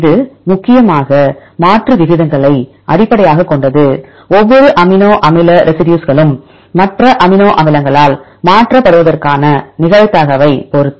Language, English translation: Tamil, It is mainly based on the substitution rates right, depending upon the probability of each amino acid residue to be replaced by other amino acids